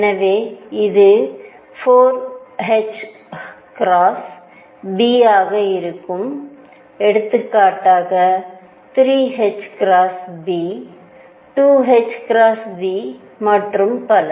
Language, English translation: Tamil, So, this will be 4 h cross B for example, 3 h cross B, 2 h cross B, and so on